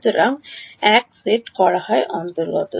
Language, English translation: Bengali, So, what is set 1 belongs to